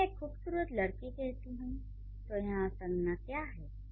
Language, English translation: Hindi, When I say a beautiful girl, what is the noun here